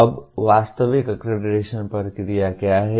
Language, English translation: Hindi, Now, what is the actual accreditation process